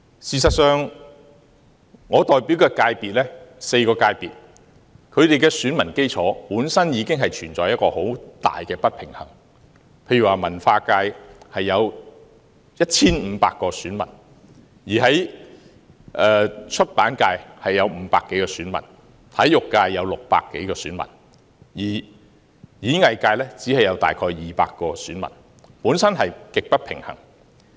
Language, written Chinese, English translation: Cantonese, 事實上，我所代表的4個界別，選民基礎本身已經存在很大的不平衡，例如文化界有 1,500 名選民，出版界有500多名選民，體育界有600多名選民，演藝界只有大約200名選民，本身極不平衡。, In fact the electoral bases of the four subsectors that I represent are already very uneven . For example there are 1 500 electors in the Culture subsector 500 - plus electors in the Publication subsector 600 - plus electors in the Sports subsector and only about 200 electors in the Performing Arts subsector